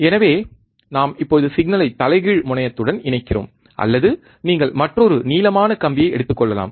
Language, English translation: Tamil, So, we are now connecting the signal to the inverting terminal, or you can take another wire longer wire